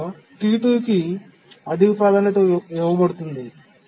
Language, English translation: Telugu, We need to give a higher priority to T2